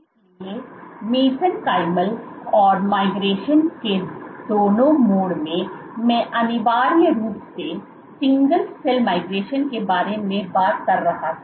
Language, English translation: Hindi, So, both these modes in both these mesenchymal and amoeboid modes of migration I was essentially talking about single cell migration